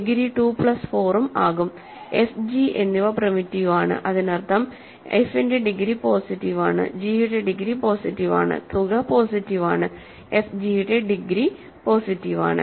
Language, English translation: Malayalam, And f and g are primitive so that means, degree of f is positive, degree of g is positive, the sum is positive, degree of f g is positive